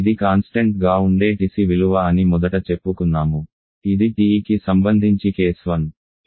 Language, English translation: Telugu, Let us say initially this is the value of TC which remains constant this is your TE for case one